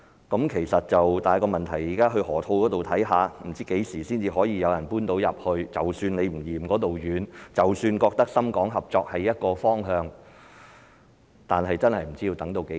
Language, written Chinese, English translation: Cantonese, 但是，問題是現在不知何時才有人能遷進去河套——即使你不嫌那裏遠，即使認為深港合作是一個方向，但也不知要等到何時。, However the problem now is that no one knows when the Park in the Loop will be available for occupation and people do not know how long they have to wait even though they are ready to travel a long distance to get there and consider Shenzhen - Hong Kong cooperation a viable direction